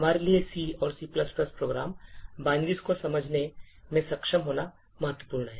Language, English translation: Hindi, It is important for us to be able to understand C and C++ program binaries